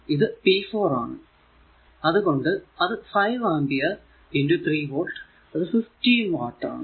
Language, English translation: Malayalam, So, it will be p 4 will be 5 ampere into 3 volt so, 15 watt